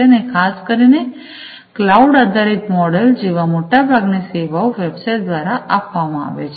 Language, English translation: Gujarati, And particularly in the cloud based model, most of the services are offered through websites right